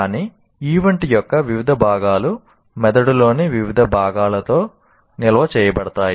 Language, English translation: Telugu, But different parts of the event are stored in different parts of the brain